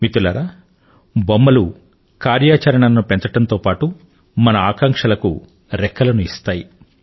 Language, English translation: Telugu, Friends, whereas toys augment activity, they also give flight to our aspirations